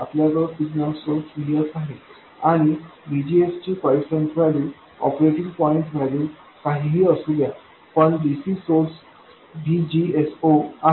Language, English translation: Marathi, We have the signal source VS and we have the DC source VGS 0, whatever the quiescent value, the operating point value of VGS is